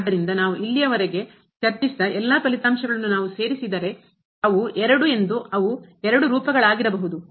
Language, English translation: Kannada, So, what is the general rule now if we include those all results what we have discussed so far, that they are two they are could be two forms